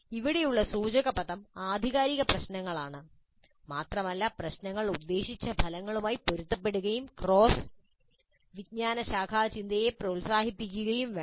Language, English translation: Malayalam, The key word here is authentic problems and problems must be compatible with the intended outcomes and encourage cross discipline thinking